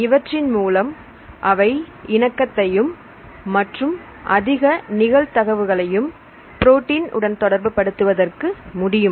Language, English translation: Tamil, So, they can change the conformation and they can have high probability to interact with the proteins